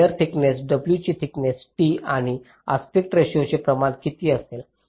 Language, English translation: Marathi, what will be the thickness, t of the wire, width, w and the aspect ratio also